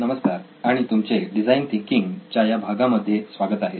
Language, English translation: Marathi, Hello and welcome back to this phase of design thinking